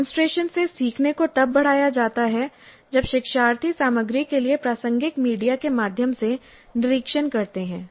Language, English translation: Hindi, So learning from demonstration is enhanced when learners observe through media that is relevant to the content